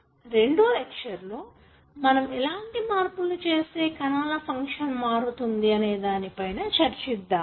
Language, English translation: Telugu, In the second lecture we will be talking about more information as to how changes there can affect the way the cell functions